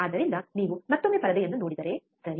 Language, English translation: Kannada, So, if you see the screen once again, right